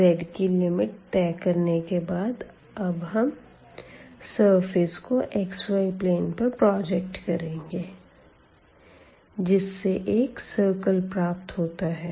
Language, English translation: Hindi, So, once we have covered the limits of z then what is left it is a projection to the xy plane and that is nothing, but the circle